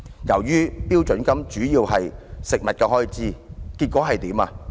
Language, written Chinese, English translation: Cantonese, 由於標準金額主要用於食物開支，結果如何？, As the standard rate payment is provided mainly for expenses on food what will happen?